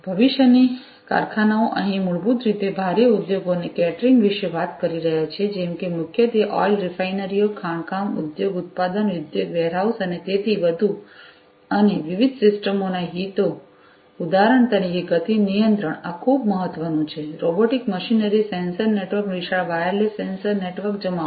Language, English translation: Gujarati, Factories of the future, here basically we are talking about catering to the heavy industries primarily such as you know oil refineries, mining industry, manufacturing industry, warehouses, and so on and the interests of the different systems for example, motion control this is very important, robotic machinery, sensor networks, massive wireless sensor network deployment